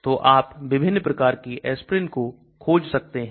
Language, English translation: Hindi, So different types of aspirin you can search